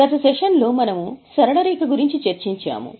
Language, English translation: Telugu, Last time we had discussed straight line